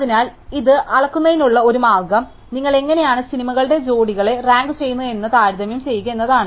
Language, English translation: Malayalam, So, one way of measuring this is to compare how you rank pairs of movies